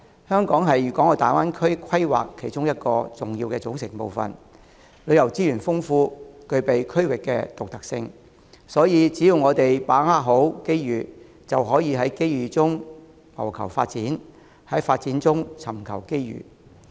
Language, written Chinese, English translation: Cantonese, 在粵港澳大灣區的規劃當中，香港是其中一個重要組成部分，旅遊資源豐富，具備區域的獨特性，所以只要我們好好把握機遇，就可以在機遇中謀求發展，在發展中尋求機遇。, In the planning of the Guangdong - Hong Kong - Macao Greater Bay Area Hong Kong is one of the key components rich in tourism resources with unique characteristics in the region . Hence if we can seize the opportunities properly we will be able to pursue development with such opportunities and seek further opportunities in the course